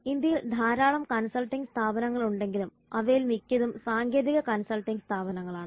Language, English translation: Malayalam, There are so many consulting services firms in India, but most of them are technical consultancy firms